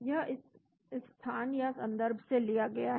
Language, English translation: Hindi, This is taken from this place or reference